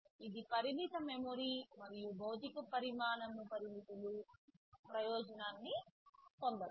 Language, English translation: Telugu, TSo, this can take advantage of limited memory and physical size restrictions